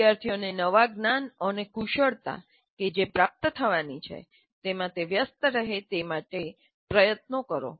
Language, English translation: Gujarati, Make effort in making the students engage with the new knowledge and skills they are expected to attain